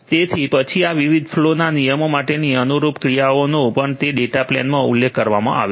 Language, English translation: Gujarati, So, then corresponding actions for these different different flow rules are also mentioned in that data plane